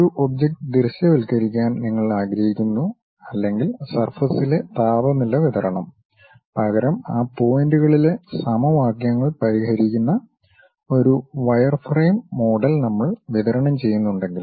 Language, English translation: Malayalam, You would like to visualize an object or perhaps the temperature distribution on the surface; instead though we supply wireframe model which solves the equations at those points